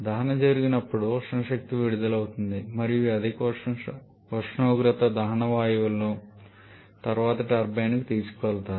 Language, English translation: Telugu, Combustion happens thermal energy is released and this high temperature combustion gases are subsequently taken to the turbine